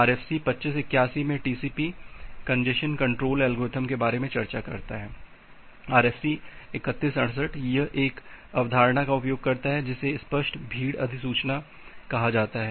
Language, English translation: Hindi, In RFC 2581 it discusses about the TCP congestion control algorithm, RFC 3168, it uses one concept called explicit congestion notification